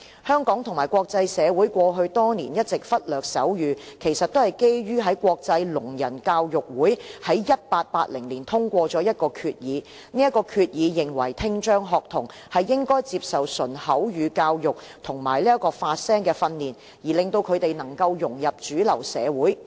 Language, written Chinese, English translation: Cantonese, 香港和國際社會過去多年一直忽略手語，其實都是基於國際聾人教育會議在1880年通過的一項決議，該決議認為聽障學童應該接受純口語教育和發聲訓練，令他們能夠融入主流社會。, Sign language has been neglected by the Hong Kong and international communities in the past years largely because of a resolution passed in the International Congress on the Education of the Deaf in 1880 . The resolution upheld pure oral teaching and speech training for students with hearing impairment so that they can integrate into mainstream society